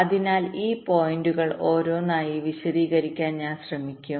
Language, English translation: Malayalam, so i shall be trying to explain this points one by one